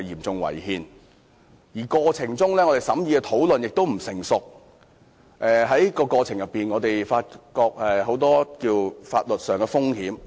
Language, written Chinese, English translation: Cantonese, 此外，審議過程的討論並不成熟，但我們依然發現了很多法律風險。, Although the discussion we had during the scrutiny was immature we still managed to identify a lot of legal risks